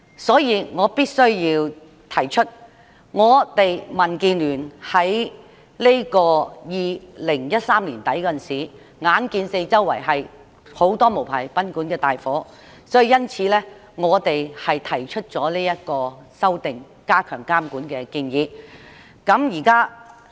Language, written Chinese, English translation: Cantonese, 所以，我必須指出，民主建港協進聯盟在2013年年底時，看到有很多無牌賓館發生火警，因此，便提出修訂有關條例以加強監管。, So I must point out that at the end of 2013 the Democratic Alliance for the Betterment and Progress of Hong Kong DAB saw fire outbreaks at many unlicensed guesthouses and thus proposed amending the Ordinance for enhanced regulation